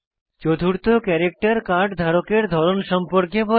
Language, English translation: Bengali, The fourth character informs about the type of the holder of the Card